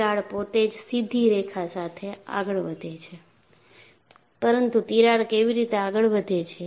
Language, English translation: Gujarati, The crack by itself advances only along the straight line, but how does the crack advances